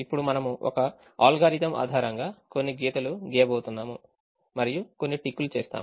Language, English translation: Telugu, we we make some ticks and we are going to draw some lines based on an algorithm